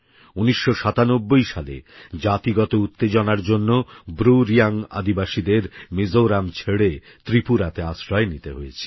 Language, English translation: Bengali, In 1997, ethnic tension forced the BruReang tribe to leave Mizoram and take refuge in Tripura